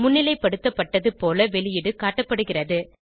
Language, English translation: Tamil, The output displayed is as highlighted